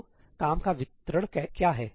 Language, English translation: Hindi, So, what is the distribution of work